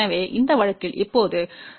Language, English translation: Tamil, So, in this case now, 10 divided by 50